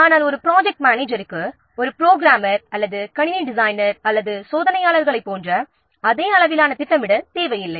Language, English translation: Tamil, But project manager, it does not require the same level of scheduling as a programmer or a system designer or a tester